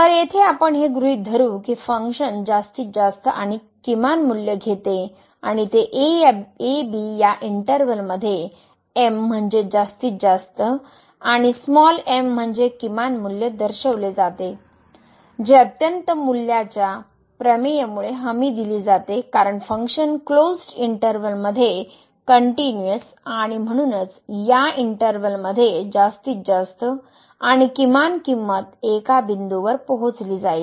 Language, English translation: Marathi, So, here we assume that the function takes the maximum and the minimum value and they are denoted by big as maximum and small as minimum in this interval , which is guaranteed due to the extreme value theorem because the function is continuous in the closed interval